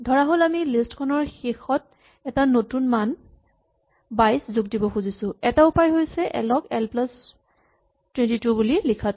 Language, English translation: Assamese, Suppose, we want to stick a new value 22 at the end of a list; one way to do this is to say l is l plus 22